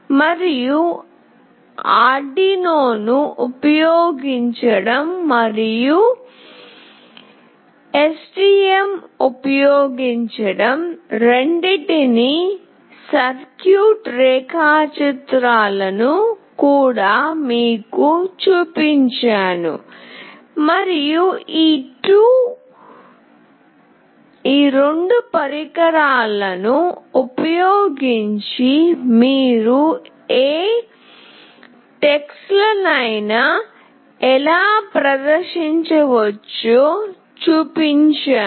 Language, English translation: Telugu, And, I have also shown you the circuit diagrams both using Arduino and using STM, and how you can display any text using these 2 devices